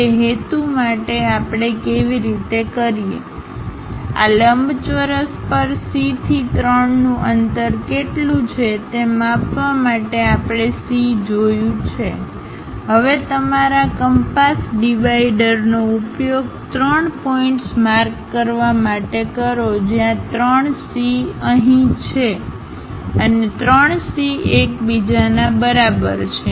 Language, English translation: Gujarati, For that purpose the way how we do is, measure what is the distance of C to 3 on this rectangle because we have already identified C, now use your compass dividers to mark three points where 3C here and 3C there are equal to each other on this rhombus